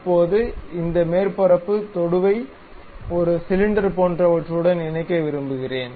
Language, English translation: Tamil, Now, I would like to really mate this surface tangent to something like a cylinder